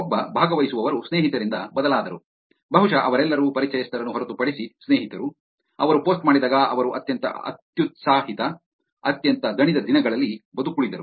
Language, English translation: Kannada, One participant changed from friends to which is probably all of them, friends except acquaintances, when she posted survived one of the craziest, most exhausting days ever